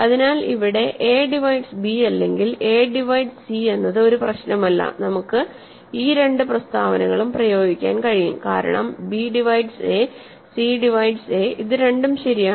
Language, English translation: Malayalam, So, no matter here whether a divides b or a divides c, we can apply both these statements because b divides a and c divides a both are true